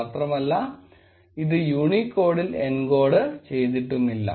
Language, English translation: Malayalam, And it is also not encoded in Unicode